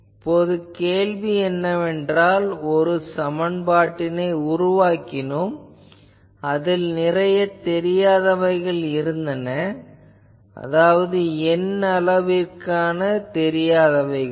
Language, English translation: Tamil, Now the question is that what the question I said here, that I had created that one equation, but I have made unknowns I have created to be n numbers capital N number of unknown